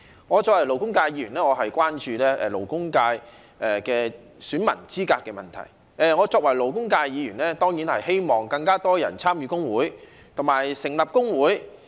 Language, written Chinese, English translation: Cantonese, 我作為勞工界議員，關注勞工界選民資格的問題；我作為勞工界議員，亦當然希望有更多人參與工會，並且成立工會。, Being a Member of the labour sector I am concerned about the eligibility of electors in the labour sector; and being a Member of the labour sector I certainly hope that more people will join trade unions and set up trade unions